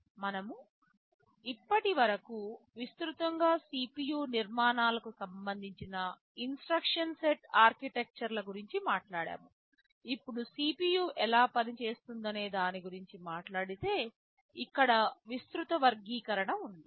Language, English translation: Telugu, Broadly with respect to CPU architectures we are so far talking about instruction set architectures, now talking about how the CPU works there is a broad classification here